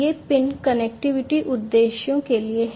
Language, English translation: Hindi, These pins are there for connectivity purposes